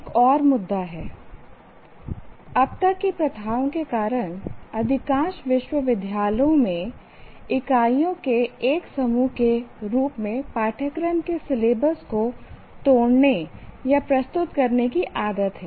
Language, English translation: Hindi, There is another issue, namely because of the practices still now, most of the universities are used to breaking the or presenting the syllabus of a course as a set of units